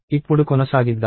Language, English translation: Telugu, So, let us continue now